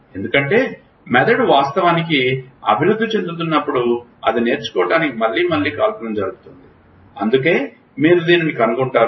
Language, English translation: Telugu, Because brain when it was actually evolving it was firing again and again to learn, so that is why you find it